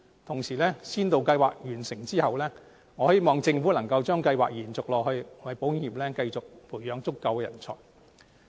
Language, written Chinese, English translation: Cantonese, 同時，在先導計劃完成後，我希望政府能把計劃延續下去，為保險業繼續培養足夠人才。, Besides after the Pilot Programme has come to an end I hope that the Government can extend the programme in order to train more people for the insurance sector